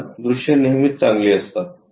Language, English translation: Marathi, Minimum number of views is always be good